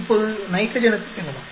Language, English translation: Tamil, Now let us go to the nitrogen